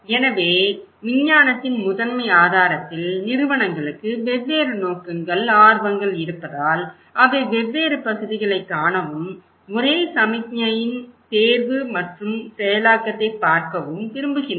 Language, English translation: Tamil, Right, so and the primary source the science, since institutions have different purposes, different interest, they will also like to see the different parts and selection and processing of one single signal, one single message have different meaning